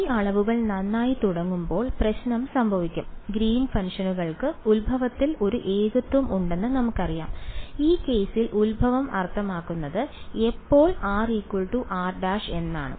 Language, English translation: Malayalam, The trouble will happen when these quantities begin to well we know that Green’s functions have a singularity at the origin; origin in this case means when r is equal to r prime